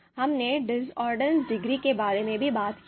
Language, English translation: Hindi, We have also talked about the discordance degree